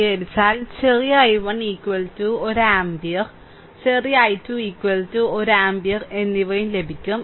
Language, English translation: Malayalam, If you solve, you will get small i 1 is equal to one ampere and small i 2 is equal to also 1 ampere